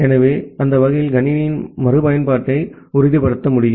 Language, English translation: Tamil, So, that way we can ensure the reusability of the system